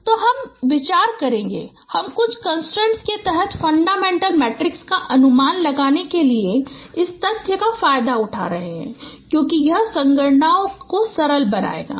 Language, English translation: Hindi, So we will be considering, we will be exploiting these facts for estimating the fundamental matrix under certain constraint scenarios because that would simplify the computations